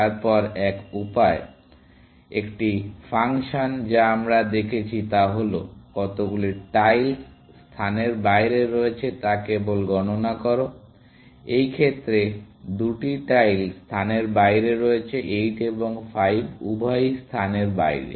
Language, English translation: Bengali, Then, one way, one of the functions that we saw was; simply count how many tiles are out of place, in which case, two tiles are out of place; both 8 and 5 are out of place